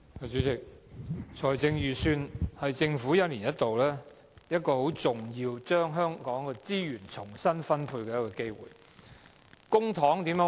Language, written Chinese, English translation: Cantonese, 主席，財政預算案是政府一年一度將社會資源重新分配的重要機會。, President the Budget offers an important opportunity for the Government to reallocate social resources on a yearly basis